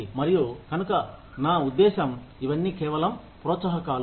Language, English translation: Telugu, And so, I mean, so, all of this, these are just incentives